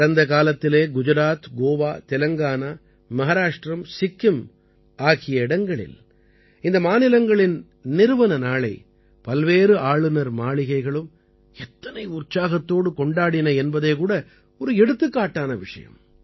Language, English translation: Tamil, In the past, be it Gujarat, Goa, Telangana, Maharashtra, Sikkim, the enthusiasm with which different Raj Bhavans celebrated their foundation days is an example in itself